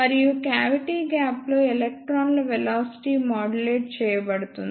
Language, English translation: Telugu, And in the cavity gap, the velocity of the electrons is modulated